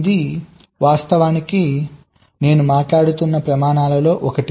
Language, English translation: Telugu, so this is actually one of the standards like i was talking about